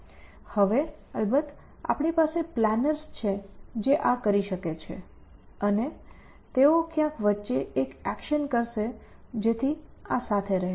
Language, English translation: Gujarati, Now of course, we have planners which can do this and they would place an action somewhere in between so that this saddles this essentially